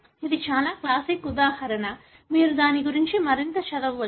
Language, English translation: Telugu, This is very classic example; you can read more about it